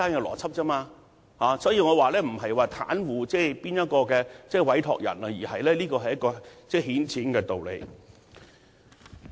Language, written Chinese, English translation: Cantonese, 因此，我並不是要袒護某位委託人，而是這是一個顯淺的道理。, Hence I am not being partial to a certain client . The reasoning is simple here